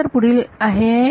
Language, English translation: Marathi, now is the part